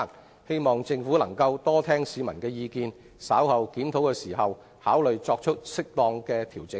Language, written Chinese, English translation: Cantonese, 我希望政府多聽取市民的意見，在稍後檢討時考慮作出適當的調整。, I hope that the Government can pay more attention to the views of the public and consider making appropriate adjustments in the review later